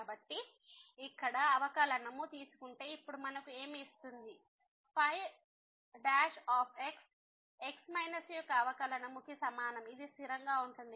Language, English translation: Telugu, So, what will now give us if we take the derivative here the is equal to the derivative of minus this is a constant